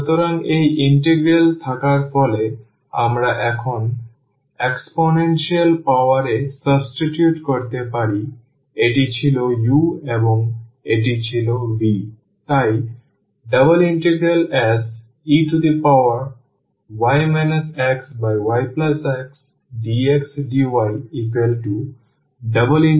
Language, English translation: Bengali, So, having this integral we can now substitute exponential power this was u and this was v